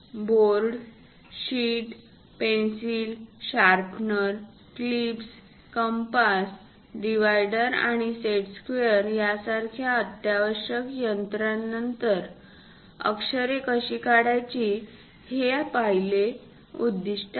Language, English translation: Marathi, After these essential drawing instruments like bold, sheet, pencils, sharpener, clips, compass, divider, and set squares, the first objective is how to draw letters